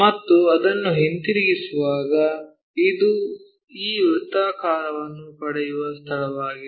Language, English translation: Kannada, And, when we are rotating it, this is the place where we get this circle